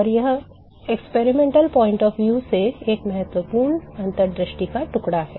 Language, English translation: Hindi, So, this is an important piece of insight from experimental point of view